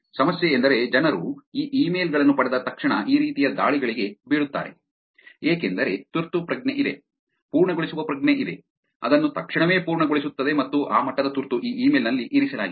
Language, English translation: Kannada, The problem is that people fall for these kind of attacks immediately when they get these emails, right because there is a sense of urgency, there is a sense of completion, completing it immediately and that level of urgency is put in this email